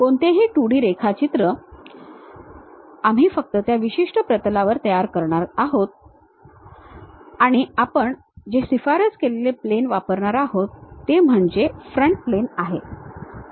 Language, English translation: Marathi, Any 2D drawing we are going to construct only on that one particular plane and the recommended plane what we are going to use is frontal plane